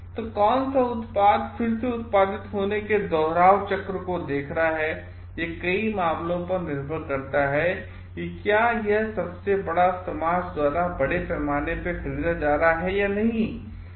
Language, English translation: Hindi, So, which product will be seeing the repeat cycle of getting produced again depends in many cases on whether it is being bought by the greatest society at large or not